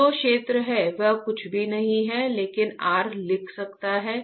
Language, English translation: Hindi, Now what is area is nothing, but R I can write